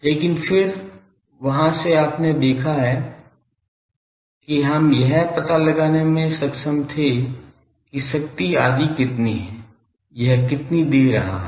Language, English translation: Hindi, , But then from there you have seen that we were able to find out how much power etc it was giving